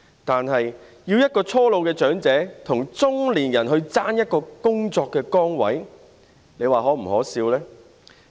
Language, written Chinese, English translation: Cantonese, 可是，要一名初老長者跟中年人爭奪一個工作崗位，這是否可笑呢？, However is it not ridiculous to make young elderly persons compete for jobs with middle - aged people?